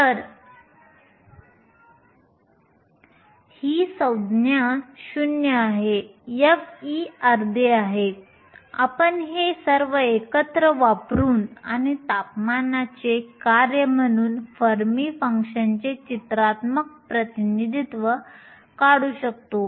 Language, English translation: Marathi, So, this term is 0, f of e is half we can put all these together and draw a pictorial representation of the fermi function as a function of a temperature